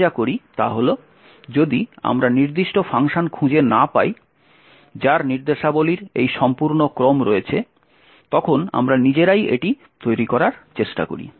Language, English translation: Bengali, What we do is that if we cannot find specific function which has this entire sequence of instructions, we try to build it ourselves